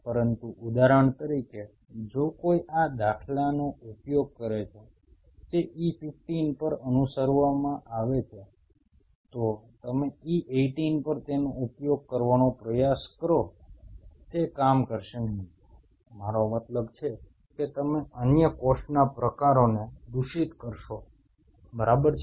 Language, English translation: Gujarati, But say for example if somebody uses this paradigm which is supposed to be followed at E15, you try to use it at E 18 it is just not going to work I mean you will get a lot of contaminating other cell types right